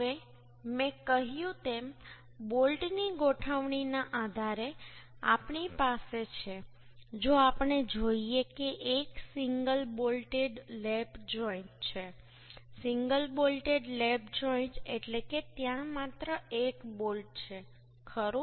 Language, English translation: Gujarati, Now, as I told that, depending upon the arrangement of bolts we have, if we see that one is single bolted lap joint, single bolted lap joint means only one bolt is there right